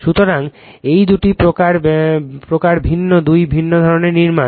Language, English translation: Bengali, So, these are the two type differenttwo different type of construction